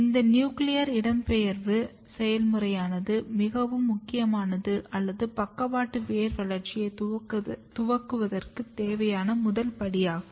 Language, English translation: Tamil, This is the process of for nuclear migration which is very important or you can say one of the first step which is required for lateral root initiation program